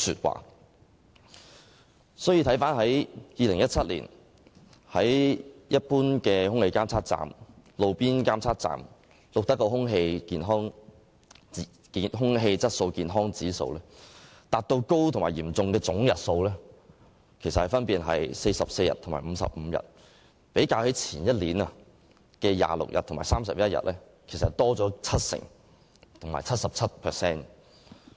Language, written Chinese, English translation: Cantonese, 回看2017年，一般及路邊空氣質素監測站錄得的空氣質素健康指數達到"高"及"嚴重"的總日數分別是44日和55日，較前年的26日和31日分別高出 70% 和 77%。, A review of 2017 shows that the total numbers of days with the Air Quality Health Index reaching the High and Serious levels as recorded at general and roadside air quality monitoring stations were respectively 44 and 55 registering a 70 % and 77 % increase over the corresponding figures of 26 days and 31 days in the previous year